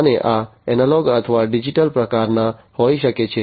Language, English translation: Gujarati, And these could be of analog or, digital types